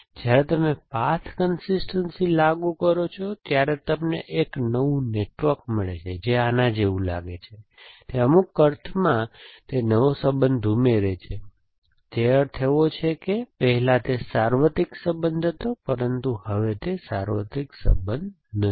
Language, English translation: Gujarati, So, when you do path consistency you get a new network, it looks like this, it adds the relation in some sense, in the sense that earlier it was a universal relation, but now it is not a universal relation